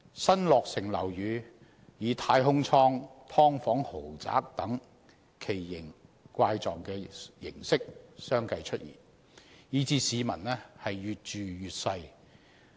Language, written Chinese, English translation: Cantonese, 新落成樓宇以"太空艙"、"劏房豪宅"等奇形怪式相繼出現，以致市民越住越細。, Flats in new buildings are now being built as capsules or luxury subdivided units meaning that the living space for the public has become smaller and smaller